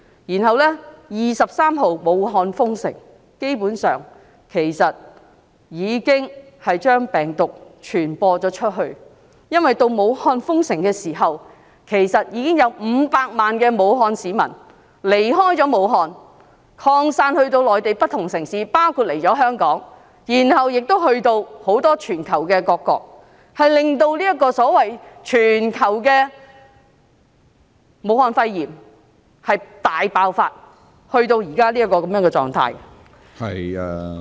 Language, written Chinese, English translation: Cantonese, 武漢在1月23日封城，但基本上病毒已經傳播出去，因為武漢封城前，已經有500萬名武漢市民離開武漢，分散至內地不同城市，包括前來香港，然後前往全球各國，令這個所謂全球性的武漢肺炎大爆發至目前的狀態......, Though Wuhan closed its borders on 23 January the virus had basically spread outside because before the closure 5 million Wuhan residents had left Wuhan for different cities in the Mainland including Hong Kong and had then gone to different countries in the world . Thus the so - called worldwide Wuhan pneumonia has spread to the present extent